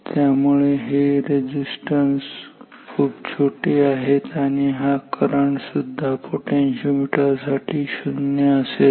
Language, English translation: Marathi, So, that these resistances are so small and also if this current is 0 for potentiometer